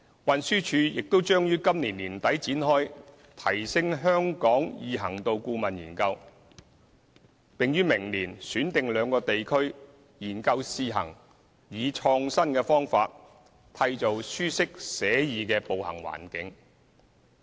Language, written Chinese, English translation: Cantonese, 運輸署亦將於今年年底展開"提升香港易行度顧問研究"，並於明年選定兩個地區，研究試行以創新的方法，締造舒適寫意的步行環境。, The Transport Department will also commence a study at the end of this year on enhancing walkability in Hong Kong and select two pilot areas next year to test out innovative measures proposed for creating a comfortable walking environment